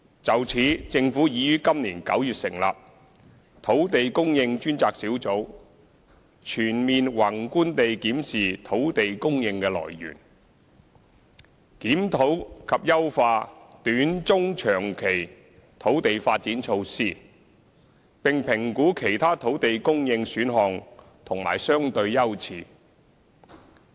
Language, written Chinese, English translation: Cantonese, 就此，政府已於今年9月成立土地供應專責小組，全面宏觀地檢視土地供應的來源，檢討及優化短、中及長期土地發展措施，並評估其他土地供應選項及相對優次。, To this end the Government has established the Task Force on Land Supply in September this year to examine different land supply options in a thorough and macro manner; review and improve various land development measures in the short medium and long term; and evaluate other land supply options and their priorities